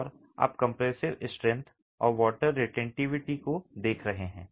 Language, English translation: Hindi, And you're looking at the compressive strength and the water retentivity